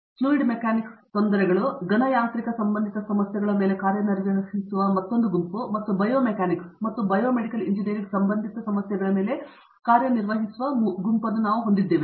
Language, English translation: Kannada, We have a group that works on Fluid Mechanics problems, another group that works on Solid Mechanics related problems and a group that works on Bio Mechanics and Bio Medical Engineering related problems